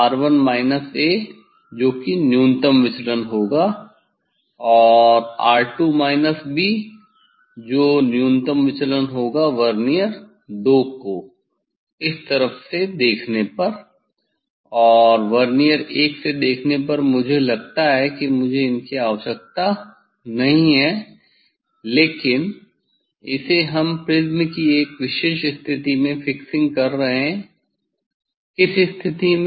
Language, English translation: Hindi, R 1 minus a that will be the minimum deviation and R 2 minus b that will be the minimum deviation from this seeing from Vernier II and this seeing from Vernier I these just I do not need that one, I do not need this on, but, this we are fixing or prism at a particular position in which position it cannot be arbitrary it cannot be arbitrary ok, why we have chosen this one